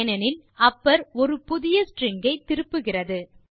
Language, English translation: Tamil, It is because, upper returns a new string